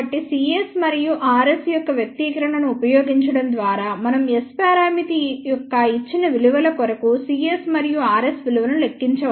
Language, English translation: Telugu, So, by using the expression of c s and r s we can calculate the values of c s and r s for given values of S parameter